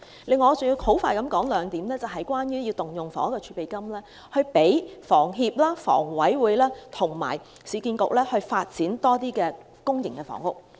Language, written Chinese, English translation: Cantonese, 此外，我要快速地說明兩點，是有關動用房屋儲備金支持香港房屋協會、香港房屋委員會和市區重建局發展更多公營房屋。, In addition I have to get across two points quickly in regard to using the Housing Reserve to support the Hong Kong Housing Society the Hong Kong Housing Authority and the Urban Renewal Authority URA in developing more public housing